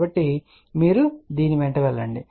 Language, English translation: Telugu, So, you move along this